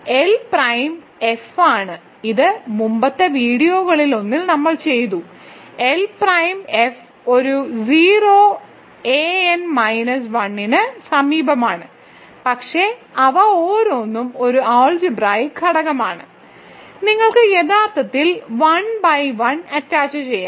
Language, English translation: Malayalam, L prime is F this we have done actually in one of the previous videos, so L prime is F adjoined a 0 a n minus 1, but each of them is an algebraic element, so you can actually 1 by 1 attach this, ok